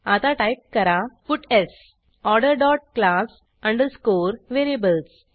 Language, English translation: Marathi, Now let us type puts Order dot class underscore variables